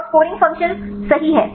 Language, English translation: Hindi, And the scoring function right